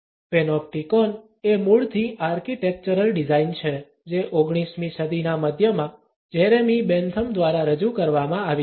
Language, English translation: Gujarati, The Panopticon is initially an architectural design which was put forth by Jeremy Bentham in the middle of the 19th century